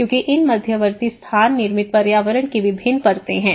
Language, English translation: Hindi, Because these intermediate spaces you know, these are the various layers of the built environment